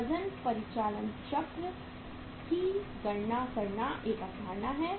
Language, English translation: Hindi, There is a concept of calculating weight operating cycle